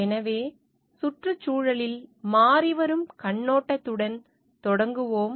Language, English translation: Tamil, So, we will start with the changing perspectives on environment